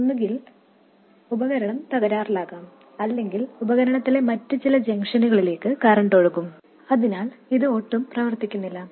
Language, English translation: Malayalam, Either the device could be damaged or the current will be flowing into some other junctions in the device and so on